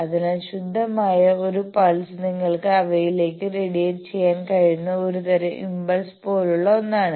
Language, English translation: Malayalam, So, that a pure pulse almost an impulse sort of thing you can radiate to them